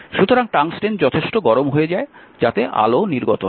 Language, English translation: Bengali, So, tungsten becomes hot enough so, that light is emitted